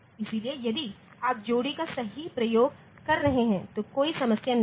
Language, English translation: Hindi, So, if you are using the pair properly then there is no problem